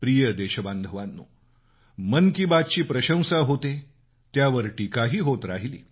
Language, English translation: Marathi, My dear countrymen, 'Mann Ki Baat' has garnered accolades; it has also attracted criticism